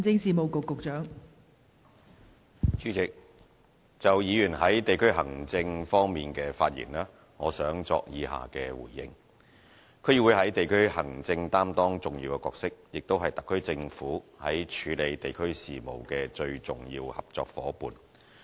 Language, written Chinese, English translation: Cantonese, 代理主席，就議員在地區行政方面的發言，我想作以下回應：區議會在地區行政擔當重要角色，也是特區政府在處理地區事務的最重要合作夥伴。, Deputy President my responses to the remarks made by Members concerning district administration are as follows District Councils DCs play a vital role in district administration which are also the most important partner of the SAR Government in handling district affairs